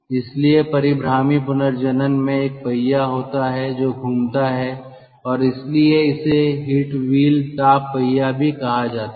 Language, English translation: Hindi, so rotary regenerator has got a wheel which rotates and thats why it is also called a heat wheel